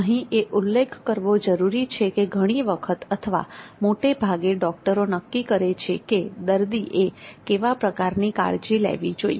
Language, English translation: Gujarati, Now here it is important to mention that many times or most often it is the doctors who decide the kind of occupancy the patient has to be kept